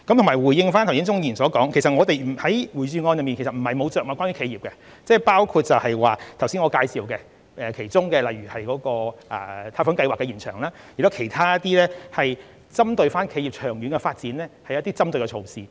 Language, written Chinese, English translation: Cantonese, 回應鍾議員剛才的提問，我們在預算案中並非完全沒有着墨於企業，我剛才也曾介紹延長貸款計劃的申請期，以及其他一些針對企業長遠發展的措施。, To reply Mr CHUNGs question just now the Budget is not without any measures for enterprises . Just now I said that the application period for a loan scheme would be extended; and I also mentioned some other measures on the long - term development of enterprises